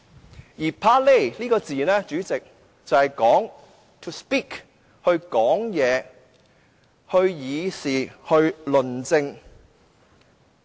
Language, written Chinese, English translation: Cantonese, 主席 ，"parler" 這個字的意思是說話、議事、論政。, President parler means to speak discuss business and debate politics